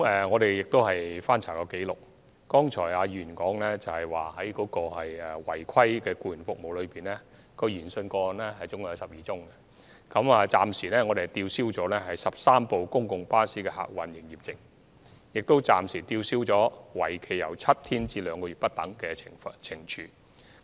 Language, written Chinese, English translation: Cantonese, 我們曾翻查紀錄，了解到在議員剛才提及就12宗違規提供僱員服務的個案研訊中，我們暫時吊銷了13輛公共巴士的客運營業證，以及作出了吊銷營業證為期7天至2個月不等的懲處。, We have checked our records and found that speaking of our inquiries into the 12 cases involving unauthorized provision of employees services as mentioned by the Honourable Member just now we have so far revoked the PSLs of 13 public buses and imposed licence suspension for a period ranging from seven days to two months as penalty